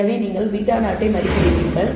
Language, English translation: Tamil, So, you get beta 0 estimated